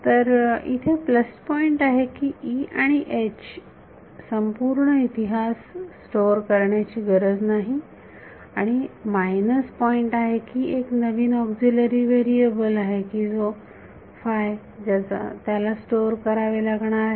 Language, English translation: Marathi, So, the plus point is, no need to store entire history of E and H and the minus point is store one new Aux variable auxiliary variable what which is psi